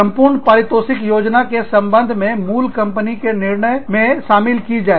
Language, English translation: Hindi, To be included, in parent company decisions, regarding total rewards planning